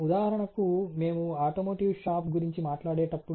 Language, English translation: Telugu, For example, when we will talk about automotive shop